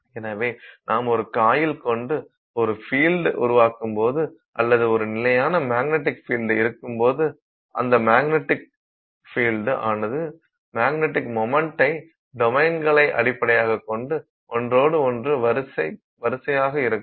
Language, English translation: Tamil, So, when you have a field developing because of a coil or there is a static magnetic field there, that magnetic field is based on domains of the magnetic moments lining up with each other